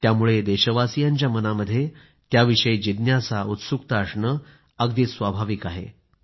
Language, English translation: Marathi, It is natural for our countrymen to be curious about it